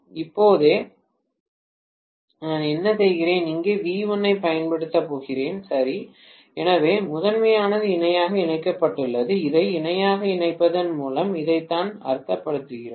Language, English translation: Tamil, right Now, what I am doing is, going to apply V1 here, okay so the primaries are connected in parallel, this is what we mean by connecting them in parallel